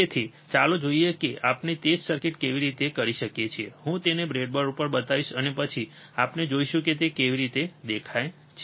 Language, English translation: Gujarati, So, let us see how we can do it the same circuit, I will show it to you on the breadboard, and then we will see how it looks like